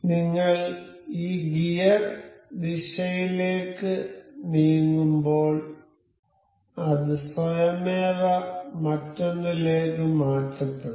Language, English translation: Malayalam, So, as we are moving this gear in direction it is automatically transferred over to the other other one